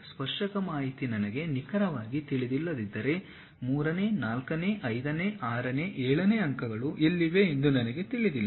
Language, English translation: Kannada, Unless I know the tangent information I do not know where exactly the third, fourth, fifth, sixth, seventh points are present